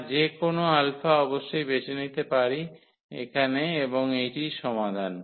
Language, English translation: Bengali, So, any alpha we can we can choose of course, here and that is the solution